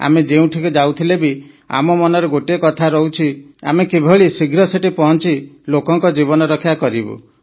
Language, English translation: Odia, And wherever we go, we feel an inner eagerness within…how soon can we reach and save people's lives